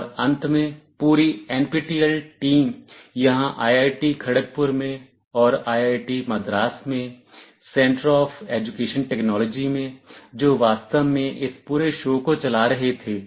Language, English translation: Hindi, And lastly the entire NPTEL team at the Center of Education Technology here at IIT Kharagpur and also at IIT Madras, who were actually running this whole show